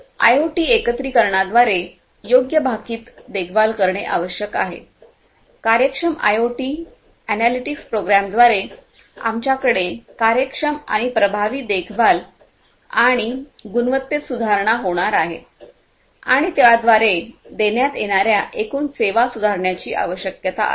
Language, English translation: Marathi, So, what is required is through appropriate predictive maintenance through IoT integration, we are going to have efficient and effective maintenance and improvement of quality by efficient IoT analytics programs and in turn improving the overall services that are delivered